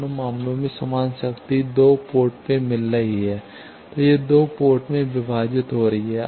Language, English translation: Hindi, In both the cases equal power is getting into the 2 ports, it is getting divided into 2 ports